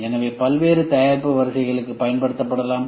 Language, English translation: Tamil, So, it can be used for various product lines